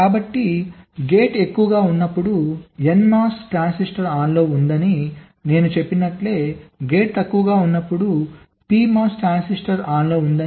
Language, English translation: Telugu, so, just as i said, an n mos transistor is on when the gate is high, pmos transistor is on when the gate is low